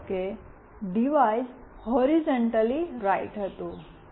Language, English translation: Gujarati, Suppose the device was horizontally right